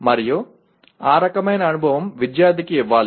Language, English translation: Telugu, And that kind of experience should be given to the student